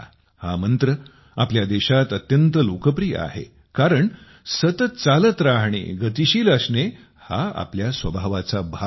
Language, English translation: Marathi, This mantra is so popular in our country because it is part of our nature to keep moving, to be dynamic; to keep moving